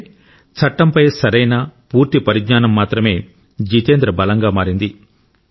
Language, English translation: Telugu, This correct and complete knowledge of the law became the strength of Jitendra ji